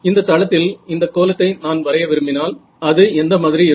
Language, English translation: Tamil, If I want to plot this in the, in this plane what would it look like